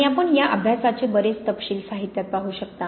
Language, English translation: Marathi, And you can look in the literature many, many details of these studies